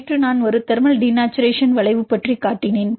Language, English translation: Tamil, Yesterday I showed about a thermal denaturation curve